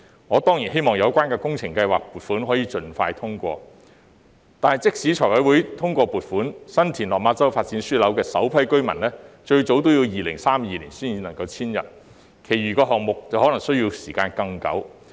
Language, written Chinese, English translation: Cantonese, 我當然希望有關的工程計劃撥款可以盡快通過，但即使財務委員會通過撥款，新田/落馬洲發展樞紐的首批居民最早也要2032年才能遷入，其餘項目則可能需時更久。, Of course I hope that the relevant project funding will be approved as soon as possible . However even if the Finance Committee approves the funding the first batch of residents of the San TinLok Ma Chau Development Node will only be able to move in around 2032 at the earliest and the other projects may take even much longer time